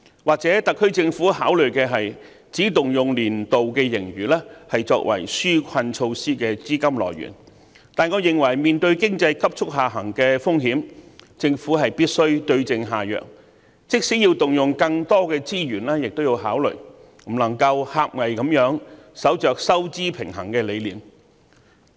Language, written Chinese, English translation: Cantonese, 或許特區政府認為，只應動用年度盈餘作為紓困措施的資金來源，但我認為面對經濟急速下行的風險，政府必須對症下藥，即使要動用更多資源，亦應予以考慮，不能夠狹隘地守着收支平衡的理念。, The SAR Government may think that it should only use its annual surplus for granting reliefs . I however believe that the Government must find the right antidote when facing the risk of a sharp economic downturn even though that may cost more resources